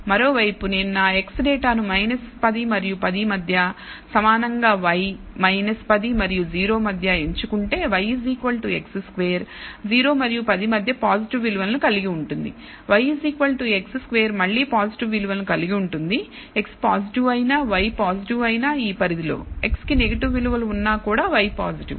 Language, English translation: Telugu, On the other hand if the data if I chosen my x data between minus 10 and 10 symmetrically for between minus 10 and 0 y equals x square will have positive values between 0 and 10 y equals x square will have positive values again although x is positive y is positive in this range and between negative values for x y is still positive